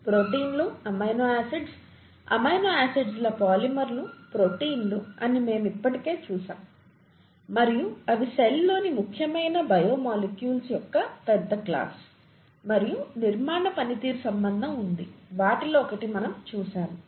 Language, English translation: Telugu, We have already seen that proteins, amino acids, polymers of amino acids are proteins and they are a large class of important biomolecules in the cell and there is a structure function relationship, one of which we have seen